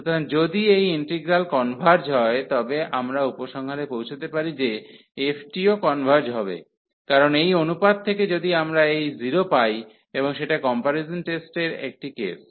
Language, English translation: Bengali, So, if this g x integral g x converges, then we can conclude that the f will also converge, because from this ratio if we are getting this 0 and that was one case in the comparison test